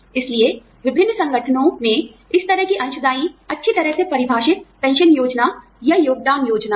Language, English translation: Hindi, So, different organizations, have this kind of contributory, well defined pension plan, or contribution plan